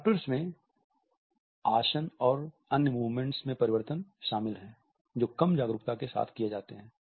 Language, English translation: Hindi, Adaptors include changes in posture and other movements which are made with little awareness